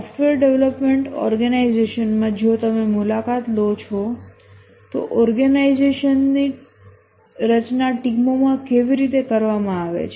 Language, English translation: Gujarati, In a software development organization, if you visit an organization, how is the organization structured into teams